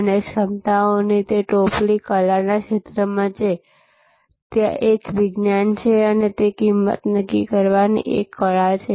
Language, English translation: Gujarati, And those basket of capabilities are in the realm of art, art of pricing